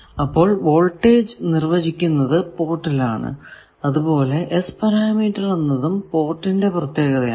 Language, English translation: Malayalam, So, voltages are defined at ports S parameters are also port dependent